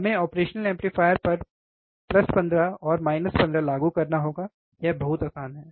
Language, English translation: Hindi, We have to apply plus 15 minus 15 to operational amplifier, correct, this much is easy